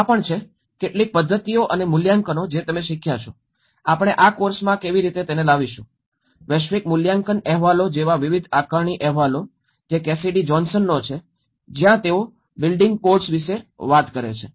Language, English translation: Gujarati, And assessments, how we come across in this course, various assessment reports like global assessment reports which is by Cassidy Johnson, where they talk about the building codes